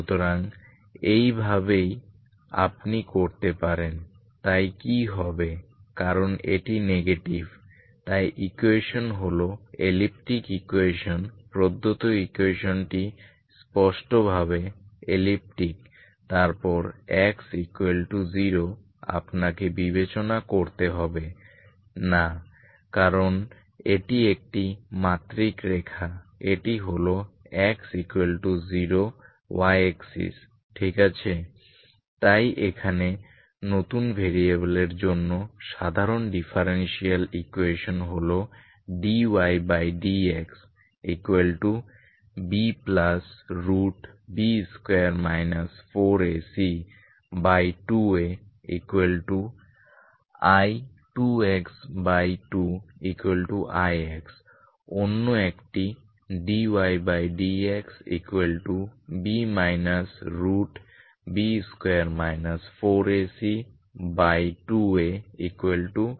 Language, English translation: Bengali, So that is how you can do, so what happens because this is negative so the equation is elliptic equation given equation is elliptic clearly then X equal to zero you need not consider because this is the one dimensional line this is that is X equal to zero Y axis ok so ordinary differential equations for the new variables here is D Y by D X equal to B 0 plus square root of B square minus 4 A C that will give me I times two X by 2 A so that is two